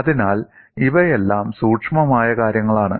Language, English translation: Malayalam, So, these are all subtle things